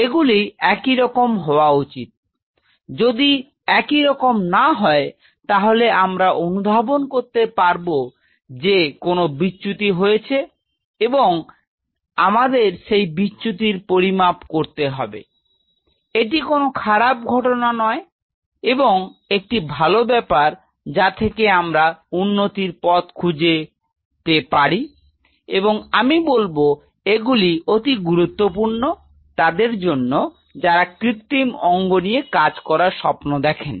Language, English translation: Bengali, It should be similar even if it is not similar then we know there is a deviation, and we will have to quantify those deviation, it is not that is a negative thing it is a very positive thing then we know that we have a to improve and I will tell you why these are important, because these are really important for those people who dream of artificial organs